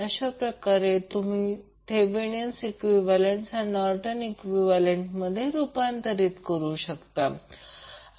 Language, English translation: Marathi, So in this way you can convert Thevenin’s equivalent into Norton’s equivalent